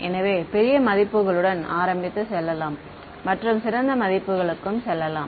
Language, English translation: Tamil, So, this is let us start with the large values and go to finer values right